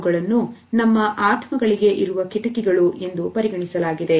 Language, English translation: Kannada, They have been termed as a windows to our souls